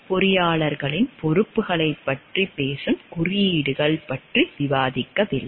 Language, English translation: Tamil, The codes don't discuss of the which talks of the responsibilities of the engineers